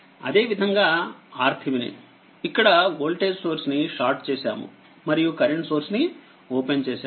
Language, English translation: Telugu, And similarly for R Thevenin that your R Thevenin that this one voltage source is here it is shorted and current source is open right